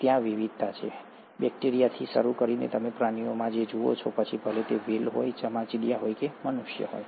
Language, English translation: Gujarati, So, there is diversity, starting all the way from bacteria to what you see among animals, whether it is the whales, the bats, or the human beings